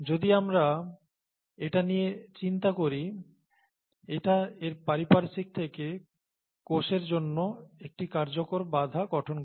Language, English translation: Bengali, If we think about it, this forms an effective barrier to the cell from its surroundings